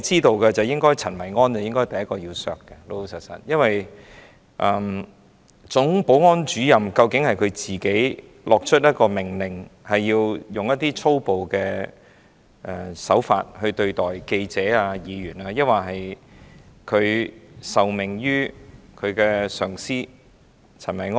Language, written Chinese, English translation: Cantonese, 老實說，陳維安應該是第一個被削減薪酬的，因為究竟是總保安主任自行發出命令，要使用粗暴手法對待記者和議員，抑或是他受命於上司陳維安？, Only the culprit should be held responsible . Frankly Kenneth CHEN should be the first one to have his salary cut since it is questionable whether the Chief Security Officer was the one who ordered to brutally handle the reporters and Members or he was ordered by his superior Kenneth CHEN to do so